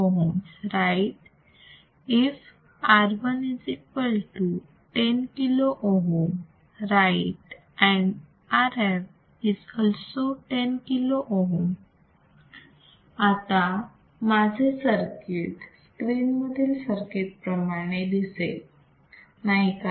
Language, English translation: Marathi, If R I = 10 kilo ohms right and R f is also = 10 kilo ohms, then my circuit will look like the one I have shown on the screen, is not it